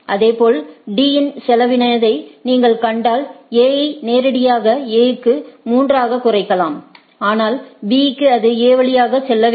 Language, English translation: Tamil, Similarly, if you see the cost of D you can deduce that A directly to A as 3, but to B it has to go via A